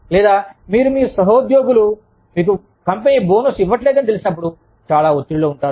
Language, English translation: Telugu, Or, you could be stressed about, what your colleagues will say, when they find out, that the company has denied them, bonuses